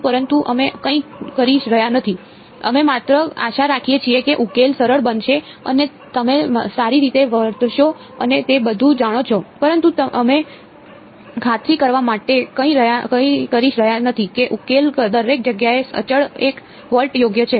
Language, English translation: Gujarati, But we are doing nothing we are just hoping that the solution turns out to be smooth and you know well behaved and all of that, but we are not doing anything to ensure that the solution is continuously one volt everywhere right